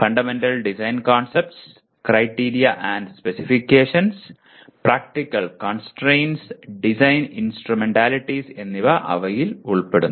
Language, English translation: Malayalam, They include Fundamental Design Concepts, Criteria and Specifications, Practical Constraints, and Design Instrumentalities